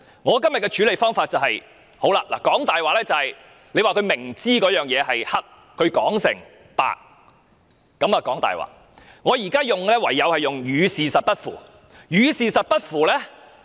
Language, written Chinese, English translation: Cantonese, 我今天的處理方法是，既然她明知而仍把黑說成是白，亦即說謊，我只好以"與事實不符"一語作出形容。, According to the approach I am going to adopt today since she has knowingly confused right and wrong by telling lies I can only describe what she has said as a deviation from the truth